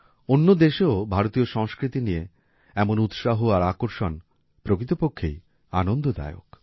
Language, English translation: Bengali, Such enthusiasm and fascination for Indian culture in other countries is really heartening